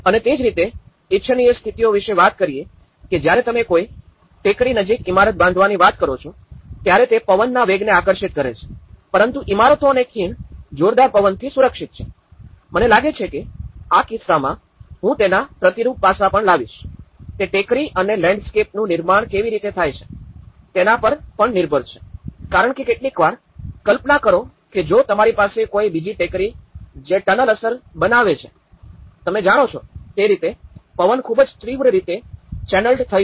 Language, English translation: Gujarati, And similarly, there is about the desirable conditions when you talk about building near a ridge attracts high wind velocity but buildings and valley is protected from a high wind, I think, in this case, I would also bring a counter aspect of it, it is also depends on where how the make up of the hill and the landscape is all about because even in sometimes, imagine if you have an another hill that becomes a tunnel effect you know, so in that way the wind will get channelled much fierceful